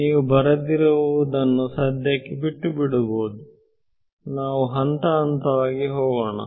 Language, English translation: Kannada, You can ignore the text written for now let us just get to it step by step